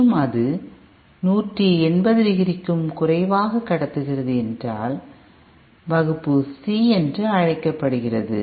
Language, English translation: Tamil, And if it is conducting for less than 180 degree, then it is called Class C